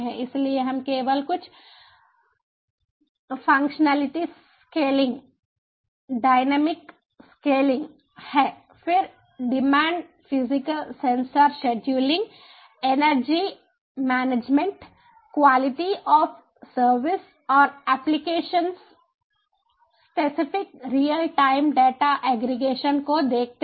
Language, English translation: Hindi, so here we see that there are only a few functionalities: scaling, dynamic scaling, then on demand, physical sensor scheduling, energy management, quality of service, an application, specific real time data aggregation